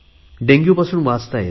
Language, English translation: Marathi, Take the case of Dengue